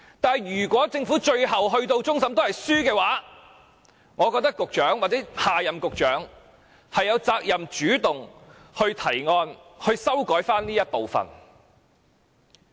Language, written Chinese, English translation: Cantonese, 不過，如果政府上訴至終審法院敗訴，我覺得局長或下任局長有責任主動提出對這部分作出修改。, However if the Government loses its case in the Court of Final Appeal I reckon the Secretary or his successor has the duty to take the initiative to make amendments to this part of the legislation